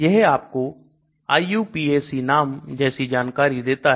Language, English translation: Hindi, It gives you the IUPAC name, that sort of things